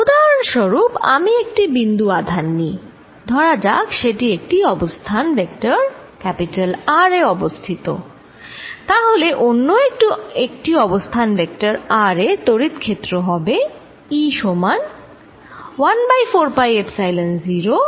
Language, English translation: Bengali, For example, if I take a point charge, let us say at some position vector R, then the electric field at some other position r is going to be E equals 1 over 4 pi Epsilon 0